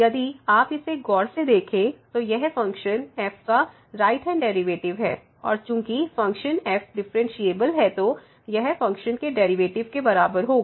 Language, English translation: Hindi, So, if you take a close look at this one this is the right hand derivative of the function and since is differentiable this will be equal to the derivative of the function